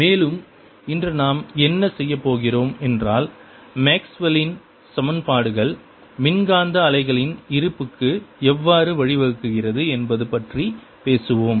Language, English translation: Tamil, will be talking about maxwell equations, and what we going to do today is talk about how maxwell's equations lead to existence of electromagnetic wave